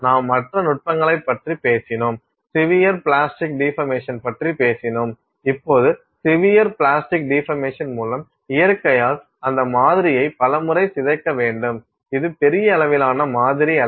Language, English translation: Tamil, We spoke of other techniques, we spoke of severe plastic deformation, now severe plastic deformation by nature of the fact that you have to deform that sample in multiple times, it is not a sample that can be large scale